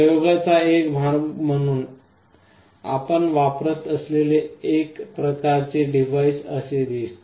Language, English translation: Marathi, One kind of device we shall be using as part of the experiment looks like this